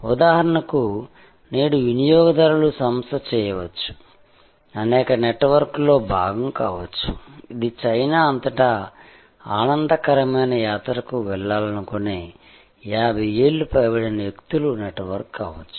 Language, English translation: Telugu, For example, today consumers can firm, can be part of many networks, it could be a network of people over 50 wanting to go on a pleasure trip across China